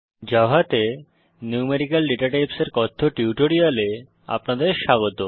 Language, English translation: Bengali, Welcome to the spoken tutorial on Numerical Datatypes in Java